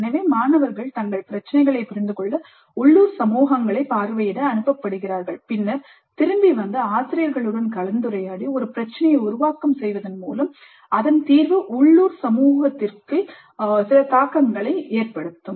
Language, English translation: Tamil, So the students are being sent to visit the local communities to understand their problems, then come back and discuss with the faculty and come out with a formulation of a problem whose solution would have some bearing on the local community